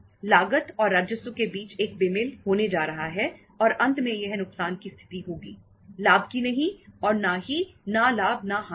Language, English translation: Hindi, There is going to be a mismatch between the cost and revenue and finally the ultimately this will be a situation of the loss, not of the profit and not of the no profit no loss